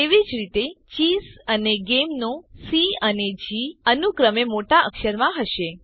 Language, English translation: Gujarati, Similarly C and G of ChessGame respectively are in uppercase